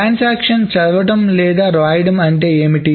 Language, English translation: Telugu, Now what does a transaction read or write